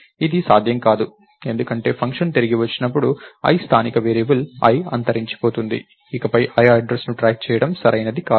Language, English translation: Telugu, This is not possible, because when the function gets returned i is a local variable, i gets destroyed, its not correct to track the address of i anymore